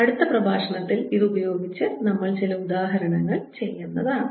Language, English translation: Malayalam, in the next lecture we are going to solve some examples using this